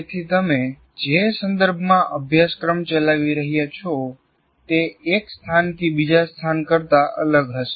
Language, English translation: Gujarati, So the context in which you are conducting a course will be different from one place to the other